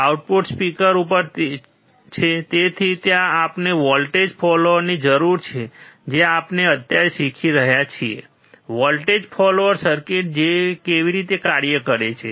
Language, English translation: Gujarati, The output is at the speaker, so, there we require voltage follower, that is what we are learning right now: How voltage follower circuit works